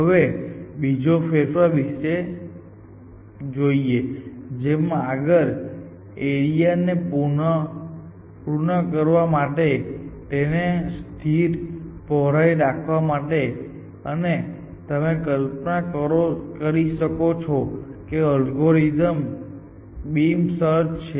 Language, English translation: Gujarati, This is to prune this even for which is to keep it of constant width and you can imagine the algorithm is beam search